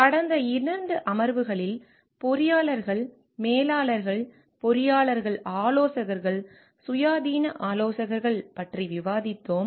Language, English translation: Tamil, In the past 2 sessions, we have discussed about engineers as managers, engineers as consultants, independent consultants